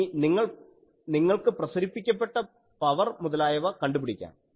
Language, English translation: Malayalam, So, now, you can find the power radiated etc